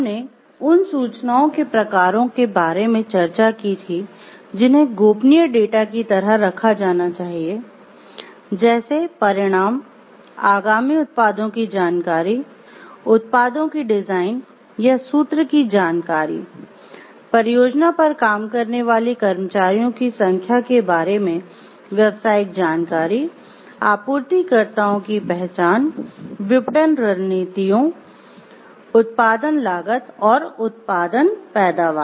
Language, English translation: Hindi, We discussed about the types of information that should be kept confidential like the confidential data, results information about upcoming unreleased products, information about designs or formula for products, business information concerning the number of employees working on a project, the identity of suppliers, marketing strategies, production cost and production yields